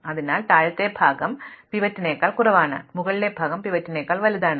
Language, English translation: Malayalam, So, the lower part is those which are less than the pivot, the upper part is that which is greater than the pivot